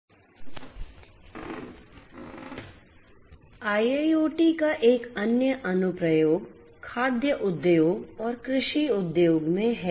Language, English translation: Hindi, Another application of IIoT is in the food industry, agriculture and food industry